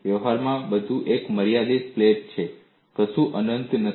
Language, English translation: Gujarati, In practice, everything is a finite plate; nothing is infinite